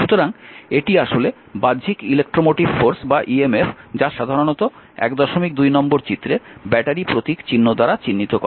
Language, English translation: Bengali, So, this is actually external electromotive force emf, typically represent by the battery figure 1